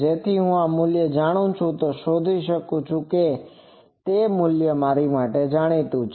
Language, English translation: Gujarati, So, if I know this value I can find and that value is known